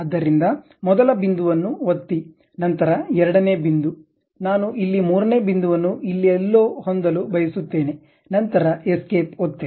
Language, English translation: Kannada, So, click first point, then second point, I would like to have third point here somewhere here, then press escape